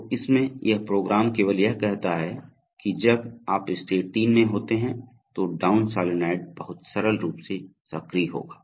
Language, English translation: Hindi, So in this, so otherwise this program simply says that while you are in state 3, down solenoid will have to be activated very simple